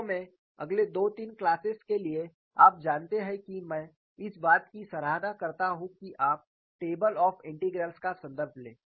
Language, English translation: Hindi, In fact for the next two three classes, you know I would appreciate that you go and refer the table of integrals